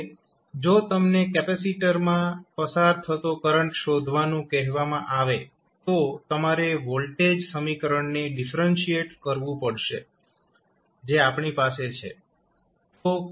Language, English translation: Gujarati, Now, if you are asked to find out the current through the capacitor you have to just simply differentiate the voltage equation which we have got